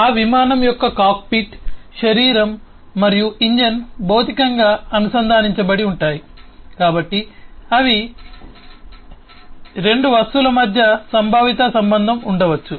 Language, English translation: Telugu, the cockpit, the body and the engine of that aircraft are physically connected, so they are linked, or there could be conceptual connection between two objects